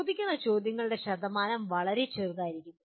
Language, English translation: Malayalam, The percentage of questions that are asked will be much smaller